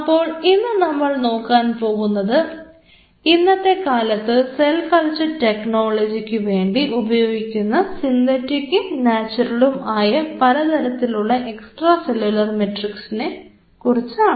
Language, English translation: Malayalam, Today what we will do; we will first of all enumerate the different kind of synthetic and natural extracellular matrix which are currently being used in the cell culture technology